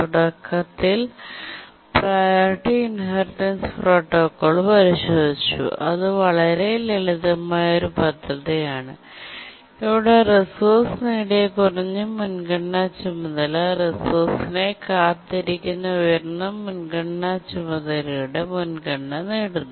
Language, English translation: Malayalam, Initially we had looked at the priority inheritance protocol which is a very simple scheme where a lower priority task which has acquired a resource inherits the priority of a higher priority task waiting for the resource but then the basic priority inheritance scheme had two major problems